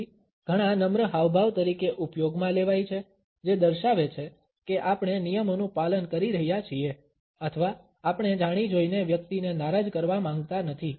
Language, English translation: Gujarati, So, many of used as polite gestures which demonstrate that we are following the rules or we do not want to deliberately offend the person